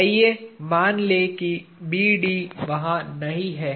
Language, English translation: Hindi, Let us assume that B D is not there